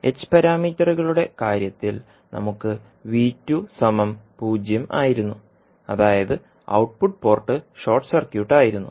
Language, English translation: Malayalam, So in case of h parameters we were having V2 is equal to 0 that is output port was short circuited